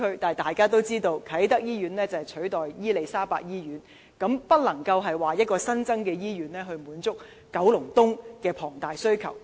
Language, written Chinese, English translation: Cantonese, 但大家也知道，啟德醫院是要取代伊利沙伯醫院，所以不能夠說區內將有一間新醫院，來滿足九龍東對醫療服務的龐大需求。, But we all know the Kai Tak Hospital is meant to replace the Queen Elizabeth Hospital so it is wrong to say there will be a new hospital in Kowloon East to meet the enormous demand for healthcare services in the district